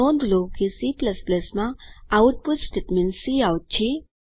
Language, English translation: Gujarati, Also, notice that the output statement in C++ is cout